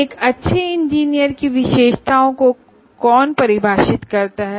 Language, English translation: Hindi, Who defines the characteristics of a good engineer